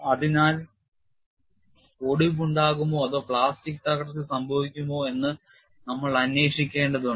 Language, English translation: Malayalam, So, we will have to investigate whether fracture would occur or plastic collapse would occur